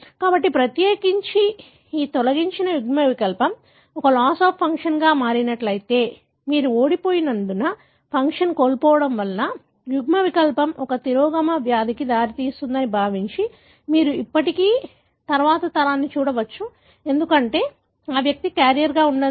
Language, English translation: Telugu, So, especially if this deleted allele is going to be a loss of function, because you have lost, assuming that a loss of function allele results in a recessive disease, you may still see a next generation, because that individual could be a carrier